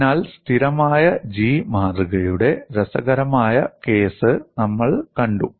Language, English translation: Malayalam, So, we saw the interesting case of constant G specimen